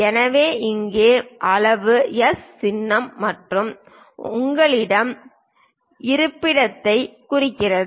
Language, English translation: Tamil, So, here size represents S symbol and positions location